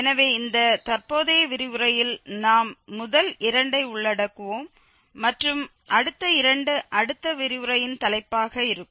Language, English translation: Tamil, So, the first two we will be covering in this present lecture and the next two will be the topic of next lecture